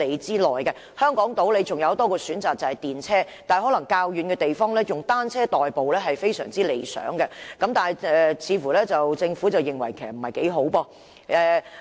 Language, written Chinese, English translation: Cantonese, 在香港島有多一個公共交通工具的選擇，就是電車，但在較遠的地方，以單車代步就非常理想，但政府似乎不以為然。, There is one more public transport option on Hong Kong Island that is the tram . But in more distant places cycling is an ideal form of transport an argument which the Government seems to disagree